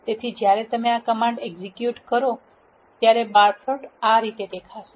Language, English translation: Gujarati, So, when you execute these commands, this is how the bar plot looks